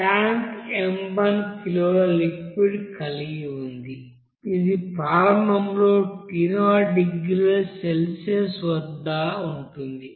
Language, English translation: Telugu, The tank holds this m 1 kg of liquid which is initially at T0 degree Celsius